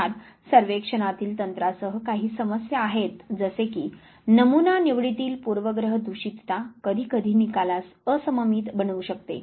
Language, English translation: Marathi, The problem of course, with the survey technique is that sampling bias sometime can skew the result